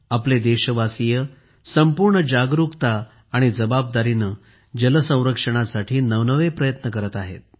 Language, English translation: Marathi, Our countrymen are making novel efforts for 'water conservation' with full awareness and responsibility